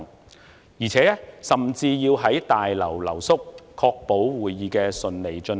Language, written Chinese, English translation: Cantonese, 其間，我們甚至要在大樓留宿，確保會議能夠順利進行。, We even stayed at the Complex overnight to ensure that the meetings ran smoothly